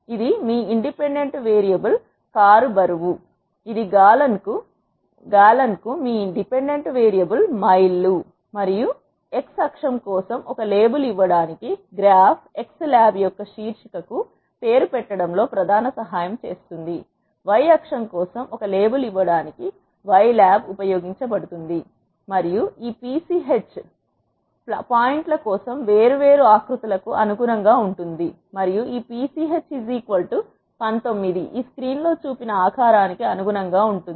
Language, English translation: Telugu, This is your independent variable car weight, this is your dependent variable miles per gallon and this main helps in naming the title of the graph x lab to give a label for x axis, y lab is used to give a label for y axis and the this pch corresponds to different shapes for points, and this pch is equal to 19 corresponds to the shape that is shown in this screen